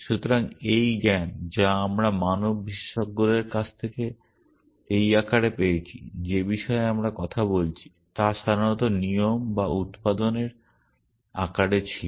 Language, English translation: Bengali, So, this knowledge of that we get from human experts in this form that we are talking about was generally in the form of rules or productions essentially